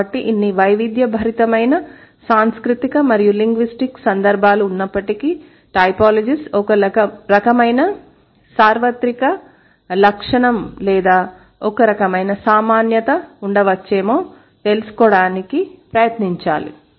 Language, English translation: Telugu, So, in spite of all this varied cultural and linguistic context, there must be some kind of universal feature or there must be some kind of commonality that the typologist should try to find out